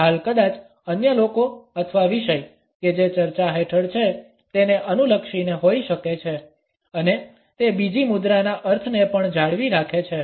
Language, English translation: Gujarati, The shield maybe targeting the other people or the topic which is under discussion and it also retains the connotations of the second posture